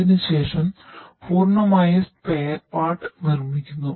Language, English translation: Malayalam, After that the complete spare part is produced